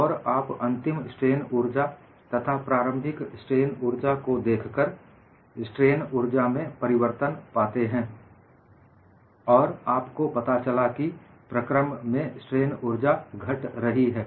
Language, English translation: Hindi, We find out what is the final strain energy; then, we look at what is the initial strain energy, and the difference in strain energy is seen